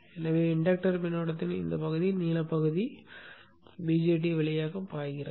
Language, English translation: Tamil, So this part of the inductor current, the blue part flows through the BJT